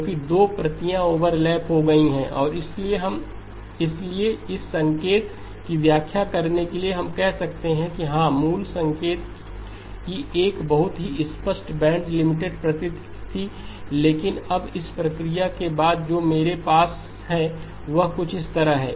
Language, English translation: Hindi, Because the two the copies have overlapped and therefore to interpret this signal we can say that yes the original signal had a very clear band limited nature but now after this process the one that I have has something like this